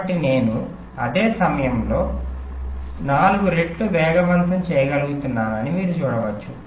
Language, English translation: Telugu, so you can see, in the same time i am able to have a speed up of about four